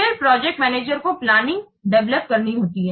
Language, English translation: Hindi, Then the project manager has to develop the plan